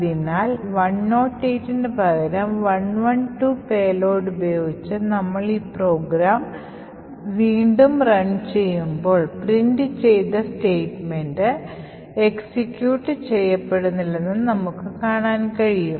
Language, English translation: Malayalam, So, when we run this program again with payload of 112 instead of a 108 we would see that the done statement is not executed